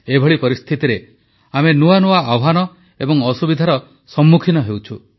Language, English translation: Odia, Amid this scenario, we are facing newer challenges and consequent hardships